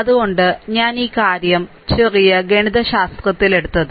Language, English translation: Malayalam, So, that is why I have taken this thing the small mathematics, right